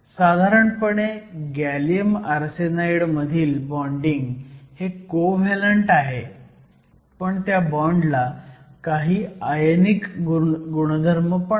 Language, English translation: Marathi, The bonding in gallium arsenide is mainly covalent, but you also have some ionic character to the bond